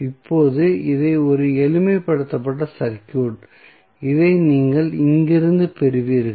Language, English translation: Tamil, So, now, this is a simplified circuit which you will get from here